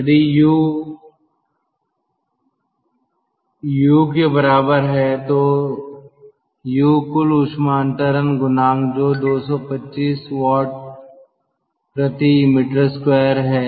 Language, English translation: Hindi, if u is equal to u, capital, u is the overall heat transfer coefficient, that is two to five watt per meter square